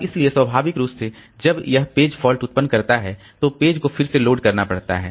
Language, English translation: Hindi, And so naturally when this process generates a page fault, again the page has to be loaded